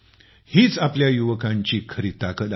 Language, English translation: Marathi, This is the real strength of our youth